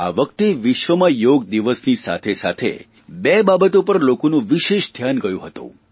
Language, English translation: Gujarati, This time, people all over the world, on Yoga Day, were witness to two special events